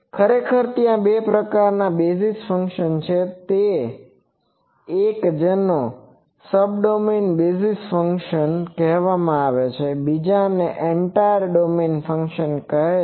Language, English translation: Gujarati, So, actually there are two types of basis functions; one is that called Subdomain basis, Subdomain basis function, another is called Entire domain function